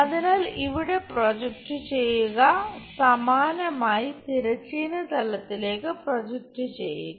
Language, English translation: Malayalam, So, project here, similarly project it onto horizontal